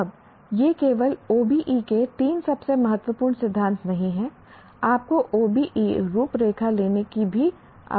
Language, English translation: Hindi, Now these are the three most important principles of not only OBE of any learn, you don't even have to take the OBE framework